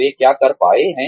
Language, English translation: Hindi, What they have been able to do